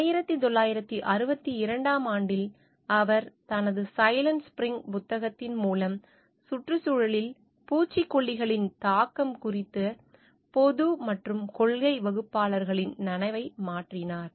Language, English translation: Tamil, In 1962, she did a through her book like the Silent spring change the consciousness of both public and policy makers about the effect of pesticides on environment